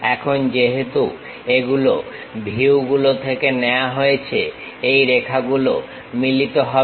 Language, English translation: Bengali, Now, because these are from views, this line this line coincides